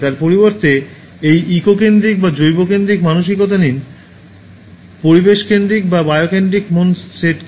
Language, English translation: Bengali, Instead of that, take this eco centric or biocentric mindset